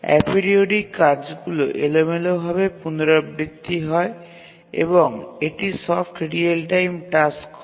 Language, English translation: Bengali, The a periodic tasks they recurredly randomly and are soft real time tasks